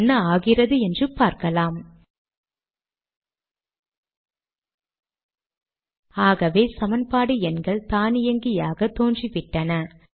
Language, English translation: Tamil, So equation numbers have appeared automatically